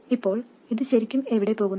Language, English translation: Malayalam, Now where does it really go